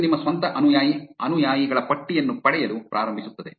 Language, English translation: Kannada, This will start getting the list of followees of your own followers